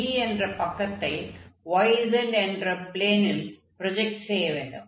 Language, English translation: Tamil, So, similarly we obtain for the side B when we project on this yz plane